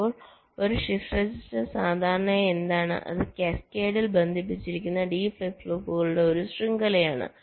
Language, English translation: Malayalam, now a shift register is normally what it is: a chain of d flip flops connected in cascade